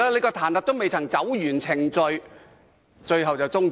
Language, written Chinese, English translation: Cantonese, 彈劾程序未能完成，便要終止。, The impeachment procedure will be terminated prematurely